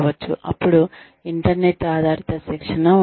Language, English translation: Telugu, Then, internet based training, could be there